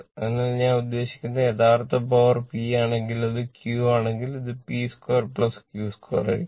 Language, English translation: Malayalam, So, this is I mean if your if your real power is P suppose if it is P we have taken if it is Q then this one will be P square plus Q square right